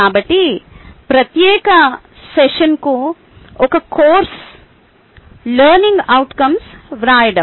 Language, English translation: Telugu, so this particular session is about writing learning outcome for a course